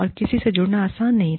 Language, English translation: Hindi, And, it was not easy, to get connected to anyone